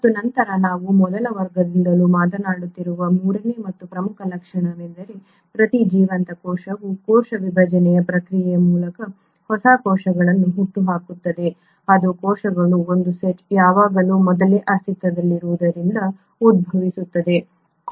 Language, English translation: Kannada, And then the third and the most important feature which we have been speaking about since the first class is that each living cell will give rise to new cells via the process of cell division that is one set of cells will always arise from pre existing cells through the process of cell division or what you call as reproduction